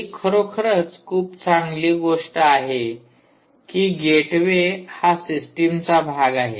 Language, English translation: Marathi, in fact, this gateway can actually be part of the system